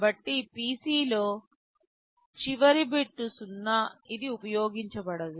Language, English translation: Telugu, So, in the PC, the last bit is 0 which is not used